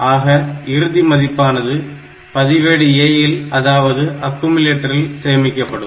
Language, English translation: Tamil, So, that is the final value will be kept it registere A only or the accumulator only